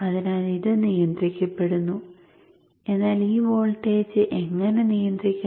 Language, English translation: Malayalam, But how to regulate this voltage